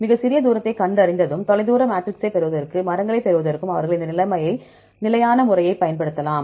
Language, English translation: Tamil, Once the smallest distance could find, then they can use this standard method to get the distance matrix as well as to get the trees